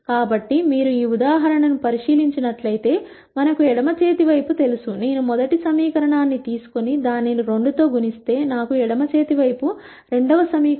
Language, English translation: Telugu, So, if you take a look at this example, we know the left hand side, if I take the first equation and multiply it by 2 I get the second equation on the left hand side